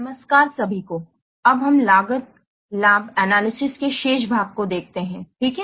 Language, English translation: Hindi, So, now let's see the remaining parts of cost benefit analysis